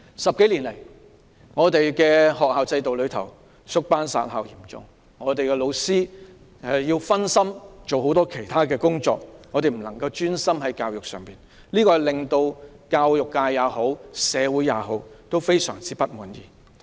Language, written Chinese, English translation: Cantonese, 十多年來，學校經歷嚴重的縮班、"殺校"，老師要分心負責很多其他工作，不能專心教學，令教育界及社會非常不滿。, Over the past 10 years or so schools have experienced serious situation of reduction of classes and closure of schools . Teachers had been distracted to handle many other duties and could not focus on teaching . The education sector and the community were full of grievance